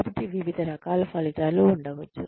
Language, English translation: Telugu, So, various types of outcomes could be there